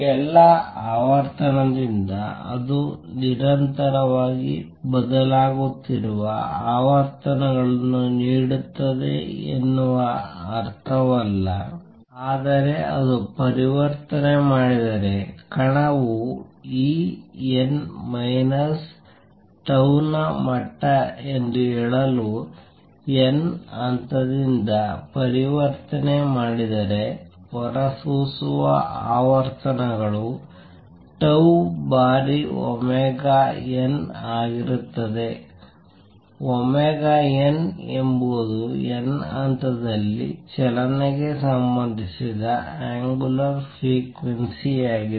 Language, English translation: Kannada, By all frequency, we do not mean that it will give out frequencies which are continuously varying, but if it makes a transition; if the particle makes a transition from nth level to say E n minus tau level, then the frequencies emitted would be tau times omega n; right where omega n is the angular frequency related to motion in the nth level